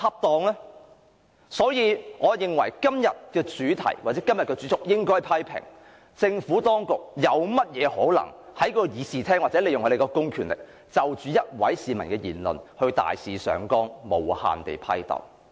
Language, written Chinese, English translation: Cantonese, 因此，我認為今天的辯論主題應該為：批評政府當局利用公權力在立法會會議廳就一名市民的言論大肆上綱，無限批鬥。, For this reason I think the theme of the debate today should be criticizing the Government for using its public power to wantonly blow a citizens remark out of proportions and incessantly level criticisms at him in the Chamber of the Legislative Council